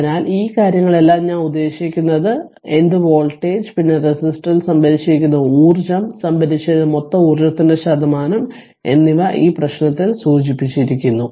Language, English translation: Malayalam, So, all these things I mean whatever the I mean what voltage, then energy stored in resistor 1 ohm, and percentage of the total energy stored everything is mentioned in this problem so